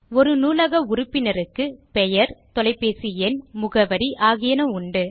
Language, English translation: Tamil, Similarly, a Library member has a Name, phone number and an address